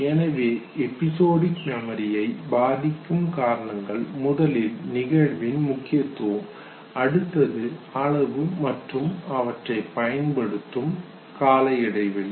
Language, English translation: Tamil, Therefore the whole lot of factors that affect episodic memory, first one of course is the significance of the event, besides that amount in the space of practice